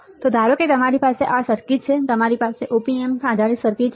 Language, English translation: Gujarati, So, suppose let us say you have this circuit ok, you have this op amp based circuit